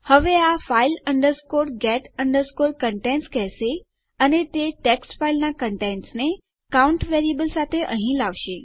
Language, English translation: Gujarati, Now what this will do is it will say file get contents and it will get the contents of our text file with our count variable in there